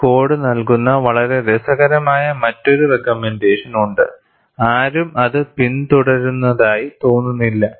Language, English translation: Malayalam, And there is also another very interesting recommendation this code gives; no one seems to have followed it